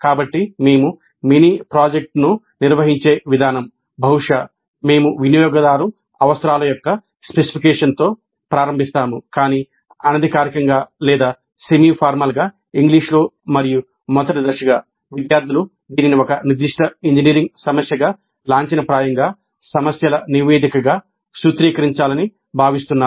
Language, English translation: Telugu, So, the way we organize the mini project, probably we start with the specification of the user requirements but informally or semi formally in English and as a first step the students are expected to formulate that as a specific engineering problem